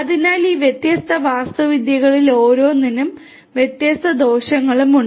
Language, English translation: Malayalam, So, there are different advantages and disadvantages of each of these different architectures